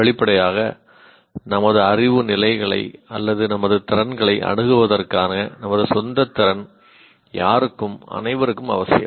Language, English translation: Tamil, Obviously, our own ability to assess our knowledge levels or our capabilities is necessary for anyone and everyone